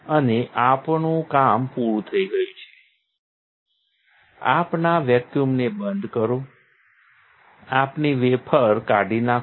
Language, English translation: Gujarati, And we are done, turn off our vacuum, remove our wafer